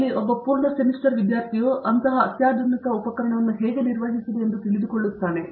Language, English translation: Kannada, Where, one full semester the student goes through, how to handle this such a sophisticated instrument